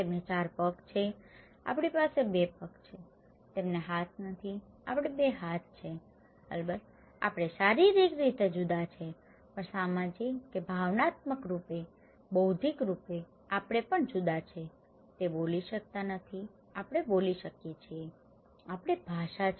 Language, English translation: Gujarati, They have 4 legs, we have 2 legs, they donít have hands, we have 2 hands, of course, we are physically different but also socially or emotionally, intellectually we are also different, they cannot speak, we can speak, we have language